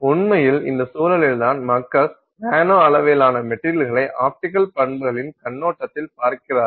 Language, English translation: Tamil, And in fact it is in this context that people look at the nanoscale materials from the perspective of optical properties